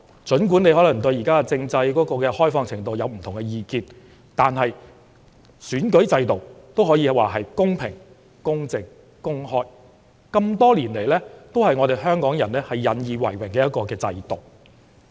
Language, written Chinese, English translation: Cantonese, 儘管大家可能對現行政制的開放程度持不同意見，但選舉制度可說是公平、公正和公開，是多年來香港人引以為榮的制度。, People may have different views about the extent of openness of the present political system but our electoral system can be considered as fair just and open a system that Hong Kong people have taken pride in over the years